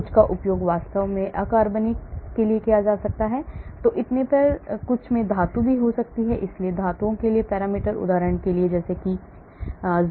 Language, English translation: Hindi, Some can be used for inorganic and so on actually and some may even have metals, so parameters for metals, iron for example, zinc, copper and so on actually